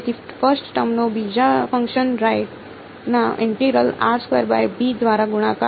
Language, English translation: Gujarati, So, first term multiplied by integral of the second function right